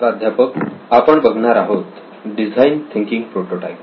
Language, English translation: Marathi, So what have we here design thinking prototype